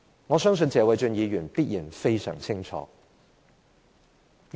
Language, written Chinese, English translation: Cantonese, 我相信謝偉俊議員必然非常清楚。, I trust Mr Paul TSE is extremely clear about this